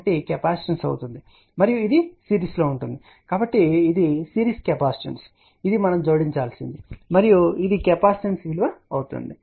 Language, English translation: Telugu, 1 will be capacitors and it will be in series so that is a series capacitance which we have to add and this is the capacitance value